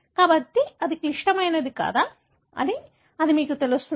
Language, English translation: Telugu, So, that would tell you, whether it is critical